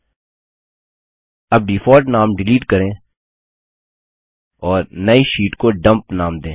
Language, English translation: Hindi, Now delete the default name and write the new sheet name as Dump